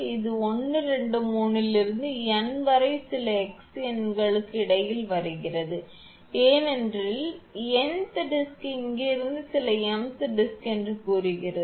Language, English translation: Tamil, It is coming from 1, 2, 3 up to n in between some x number is there, for n th disk from here say some m th disk